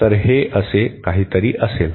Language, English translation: Marathi, So, it will be something like this